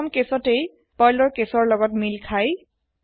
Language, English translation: Assamese, In the first case, it matches with the case Perl